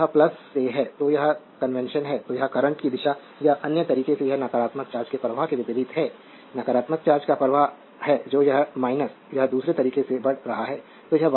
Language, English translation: Hindi, So, that is the from plus so, this is the convention so, this the direction of the current or in other way it is opposite to the flow of the negative charge, this is the flow of negative charge it is move this is minus so, it is moving in a other way